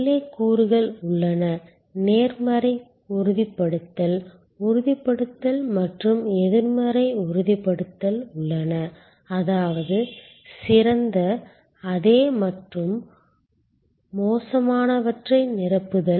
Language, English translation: Tamil, There are elements inside, there are positive disconfirmation, confirmation and negative disconfirmation; that means, filling of better, same and worse